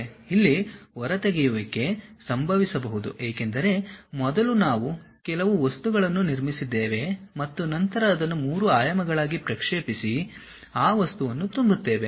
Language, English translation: Kannada, There might be extrusion happen because first we have constructed some object like that, and then projected that into 3 dimensions and fill that material